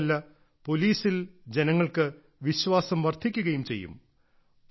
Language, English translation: Malayalam, Not just that, it will also increase public confidence in the police